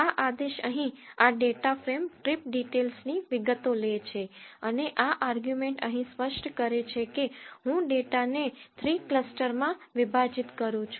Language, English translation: Gujarati, This command here takes this data frame trip details and this argument here specifies I want to divide the data into three clusters